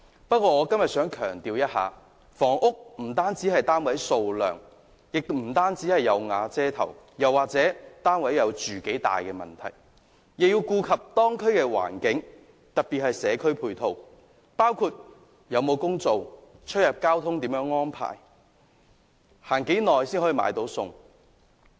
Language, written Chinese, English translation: Cantonese, 不過，我今天想強調，房屋不單是單位的數量，亦不單是"有瓦遮頭"，甚或單位的面積，也要顧及當區的環境，特別是社區配套，包括就業機會、交通安排及與菜市場的距離等。, And yet today I want to stress that housing issue is not just a matter of the number of flats a roof over the head or even the size of flats but should also take into account the local environment especially community facilities which include job opportunities transport arrangements and distance from the market etc